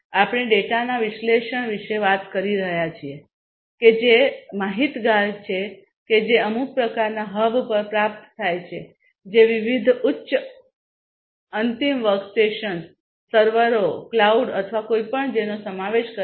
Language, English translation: Gujarati, We are talking about analysis of the data that is informed that is received at some kind of a hub which will be comprised of different high end workstations, servers, cloud or whatever